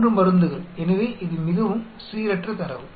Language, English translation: Tamil, 3 drugs so it is very random set of data